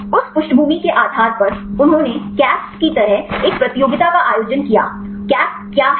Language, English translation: Hindi, Based on that background, they organized a competition like the casp; what is casp